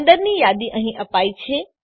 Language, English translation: Gujarati, The list inside is given here